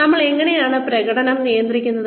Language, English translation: Malayalam, How do you manage performance